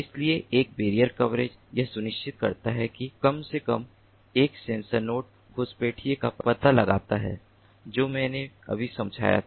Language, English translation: Hindi, so one barrier coverage ensures that at least one sensor node detects the intruder in what i just explained before